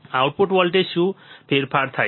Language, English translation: Gujarati, What is change in output voltage